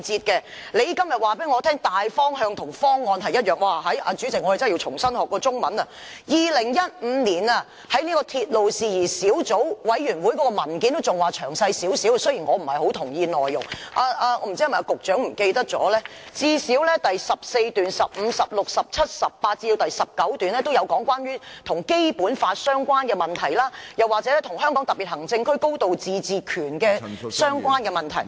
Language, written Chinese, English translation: Cantonese, 局長今天告訴我"大方向"與"方案"是一樣的——主席，我們真的要重新學習中文 ——2015 年，在鐵路事宜小組委員會上提交的文件尚算詳細，儘管我不太同意內容，但不知道局長是否忘記，最少在第14、15、16、17、18及19段均有提及關於與《基本法》相關的問題，或與香港特別行政區"高度自治權"的相關問題。, The Secretary is telling me today the broad direction and the proposal mean the same thing―President we really should start learning Chinese all over again―the paper tabled at the Subcommittee on Matters Relating to Railways in 2015 was largely comprehensive though I do not quite agree to its contents . But I wonder if the Secretary recalls that at least in paragraphs 14 15 16 17 18 and 19 issues relating to the Basic Law or issues relating to a high degree of autonomy of the Hong Kong Special Administrative Region were mentioned